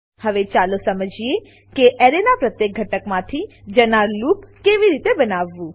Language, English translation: Gujarati, Now, let us understand how to access individual elements in an array